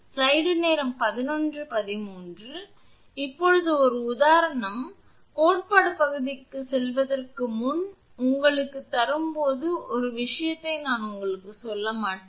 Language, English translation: Tamil, So, now, one example; this example, when I will give you before going to theory part that one thing I will not tell you